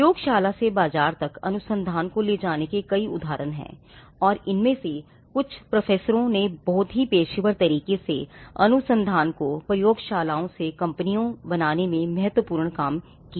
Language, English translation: Hindi, Now, there are many instances of taking the research from the lab to the market and some of these are being done very professionally by professors who have been instrumental from taking the research from the labs to create great companies